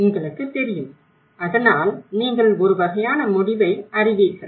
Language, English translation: Tamil, You know, so that is you know the kind of conclusion